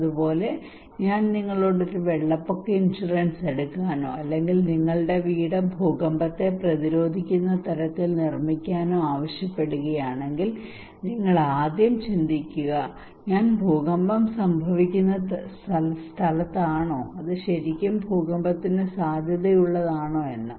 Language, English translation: Malayalam, So similarly if I am asking you to take a flood insurance or to build your house earthquake resistant, you will first think am I at a place where earthquake is happening, is it really prone to earthquake right